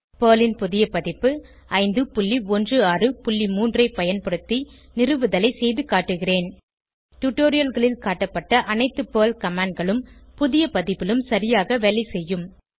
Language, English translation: Tamil, I will be demonstrating the installation using the new PERL version 5.16.3 All the PERL commands shown in the tutorials will work perfectly, on the new version as well